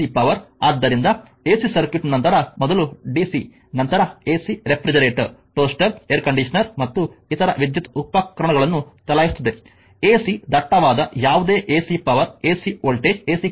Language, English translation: Kannada, So, ac circuit will see later first dc then ac to run the refrigerator, toaster, air conditioner and other electrical appliances, whatever ac dense will get these are all your ac power ac voltage ac current right